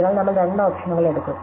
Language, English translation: Malayalam, So, we will take two options